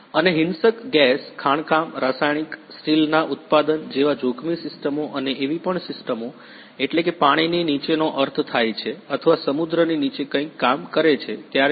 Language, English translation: Gujarati, And hazardous systems like a violent gas, mining, chemical, steel manufacturing even in when working or developing something below the sea that mean under the water